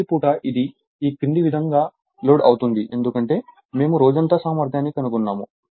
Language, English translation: Telugu, During the day, it is loaded as follows right it is because we have find out all day efficiency